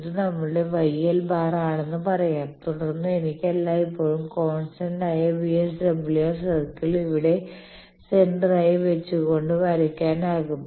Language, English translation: Malayalam, So, what we do in the smith chart we locate let us say this is our Y l bar then I can always draw the constant VSWR circle as a circle like this centre here